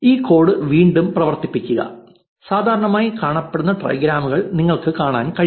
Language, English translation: Malayalam, Run this code again and you see the most commonly appearing trigrams